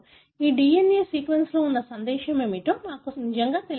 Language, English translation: Telugu, We really do not know what is the message that this DNA sequence carry